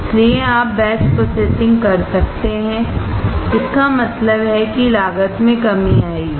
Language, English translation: Hindi, So, you can do batch processing; that means, cost will come down